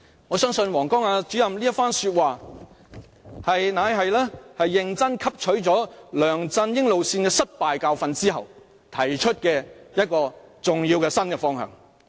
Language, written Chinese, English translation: Cantonese, "我相信王光亞主任這番話乃是認真汲取梁振英路線失敗的教訓後所提出的重要新方向。, I believe Mr WANG Guangya made the above remarks to suggest a new and essential direction for Hong Kongs governance upon learning solidly a lesson from the failure of the LEUNG Chun - ying approach